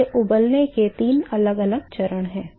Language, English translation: Hindi, So, these are the three different stages of boiling